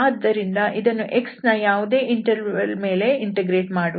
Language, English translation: Kannada, So we do not have to indeed do any interval for x